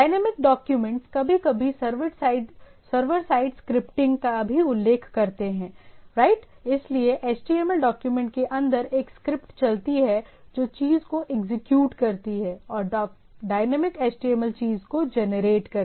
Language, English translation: Hindi, So, dynamic document also sometimes that we refer as a server side scripting right; so runs a script inside the HTML document which execute the thing and generate the generate the dynamic HTML thing